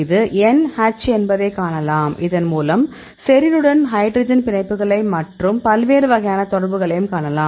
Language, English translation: Tamil, And you can see this is N H; with this one you can see the hydrogen bonds with the serine, you can see different types of interactions